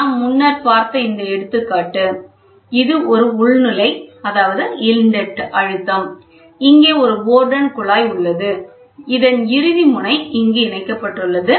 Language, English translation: Tamil, So, this example we saw earlier also so, this is an inlet pressure here is a Bourdon tube so, this, in turn, will be attached to a free this is a free end